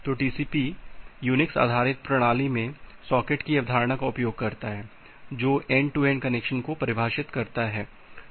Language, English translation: Hindi, So, this TCP in a Unix based system it uses the concept of socket, which define an end to end connection